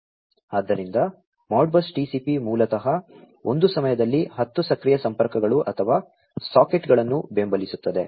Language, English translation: Kannada, So, Modbus TCP basically supports up to 10 active connections or sockets at one time